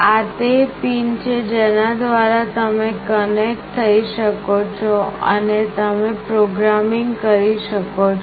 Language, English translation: Gujarati, These are the pins through which you can connect and you can do programming with